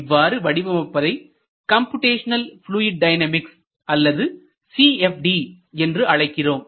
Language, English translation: Tamil, So, this is known as Computational Fluid Dynamics or CFD